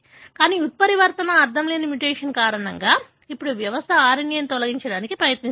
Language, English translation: Telugu, But, the mutant, because of the nonsense mutation, now the system tries to remove the RNA